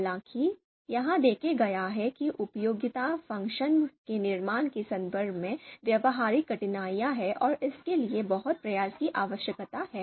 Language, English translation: Hindi, So, however, it has been it has been noticed that there are practical difficulties in terms of construction of utility function and this requires a lot of effort